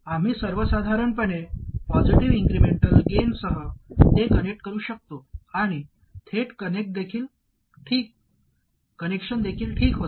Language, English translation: Marathi, So we could connect it with a positive incremental gain in general and even a direct connection was okay